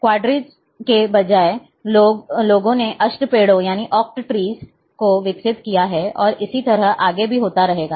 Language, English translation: Hindi, Like instead of Quadtrees, people have also developed oak trees and so and so forth